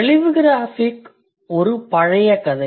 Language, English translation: Tamil, Telegraph is an old story